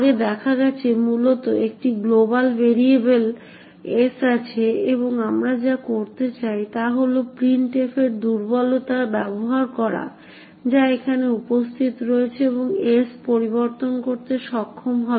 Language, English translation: Bengali, c, this code is very similar to what we have seen before essentially there is a global variable s and what we do intend to do is to use the vulnerability in the printf which is present here and be able to modify s